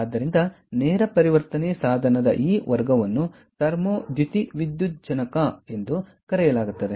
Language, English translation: Kannada, ok, so this class of direct conversion device is known as thermo photovoltaic